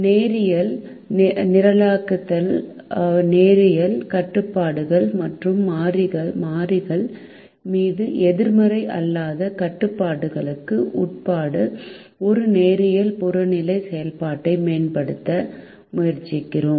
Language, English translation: Tamil, in linear programming we try to optimize a linear objective function subject to linear constraints and with non negativity restrictions on the variables